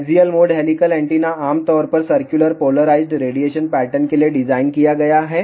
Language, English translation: Hindi, Axial mode helical antenna is generally designed for circularly polarized radiation pattern